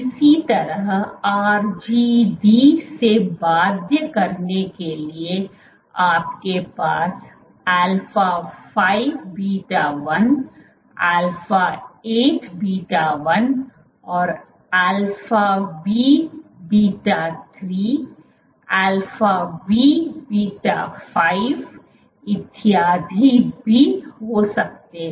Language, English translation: Hindi, So, for RGD binding you can have alpha 5 beta 1, alpha 8 beta 1 and also you have alpha v beta 3, alpha v beta 5 so on and so forth